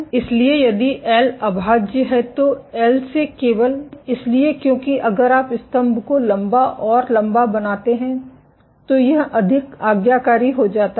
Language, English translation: Hindi, So, if L prime is greater than L simply because if you make the pillar tall and tall it becomes more compliant